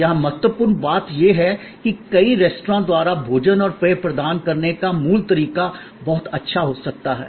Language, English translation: Hindi, Important thing here is that, the core of providing food and beverage can be very well done by many restaurants